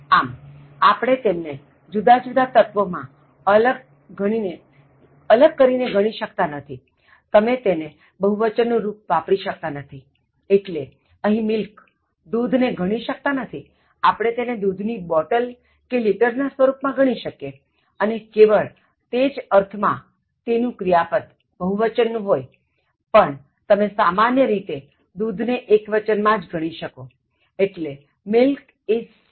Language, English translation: Gujarati, So, since we cannot divide them into separate elements and count them you cannot use plural form of the verb, here “Milk” itself cannot be counted, though, we can count milk in terms of bottles of milk/liters of milk only in that sense then the verb will be plural in form but, when you use milk in general it takes singular verb so milk is sour